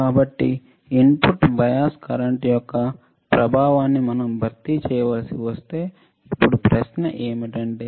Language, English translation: Telugu, How to compensate the effect of input bias current that is a question